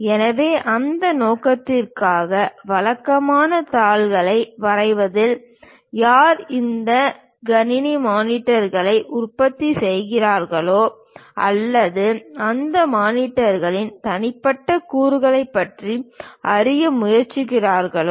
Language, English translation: Tamil, So, for that purpose, usually on drawing sheets, whoever so manufacturing these computer monitors or perhaps trying to know about the individual components of that monitors